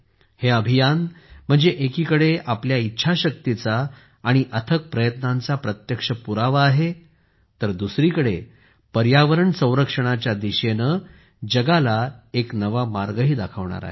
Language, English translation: Marathi, Whereas this evidence is direct proof of our willpower and tireless efforts, on the other hand, it is also going to show a new path to the world in the direction of environmental protection